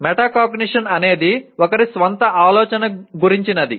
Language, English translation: Telugu, Metacognition is thinking about one’s own thinking